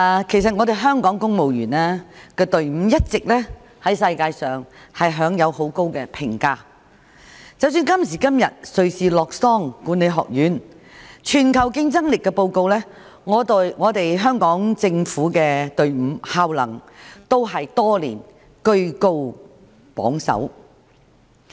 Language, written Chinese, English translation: Cantonese, 主席，香港公務員隊伍在世界上一直享有很高評價，即使今時今日瑞士洛桑國際管理發展學院的"全球競爭力報告"，香港政府隊伍的效能多年來都居高榜首。, President the Hong Kong civil service has been highly regarded in the world . Government efficiency in Hong Kong has been ranked the first for many years in the Global Competitiveness Report published by the International Institute for Management Development based in Lausanne Switzerland